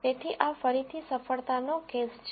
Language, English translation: Gujarati, So, this is again a success case